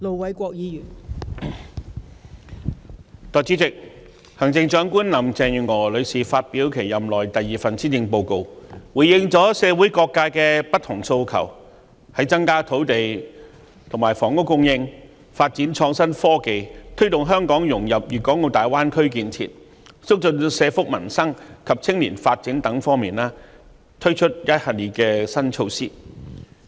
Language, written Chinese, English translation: Cantonese, 代理主席，行政長官林鄭月娥女士發表其任內第二份施政報告，回應了社會各界不同訴求。在增加土地、房屋供應、發展創新科技、推動香港融入粵港澳大灣區建設、促進社福民生及青年發展等方面，推出一系列新措施。, Deputy President the Chief Executive Mrs Carrie LAM has presented the second Policy Address in her term responding to different aspirations of various sectors of the community and introducing a series of new measures for increasing land and housing supply developing innovation and technology facilitating Hong Kongs integration into the development of the Guangdong - Hong Kong - Macao Greater Bay Area improving social welfare and the peoples livelihood and promoting youth development